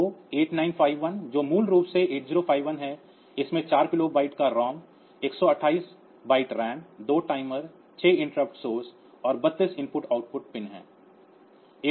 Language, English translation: Hindi, So, 8951 which is basically the 8051 only so it is 4 kilobyte of RAM ROM 128 bytes of RAM 2 timers 6 interrupt sources and 3 2 IO pins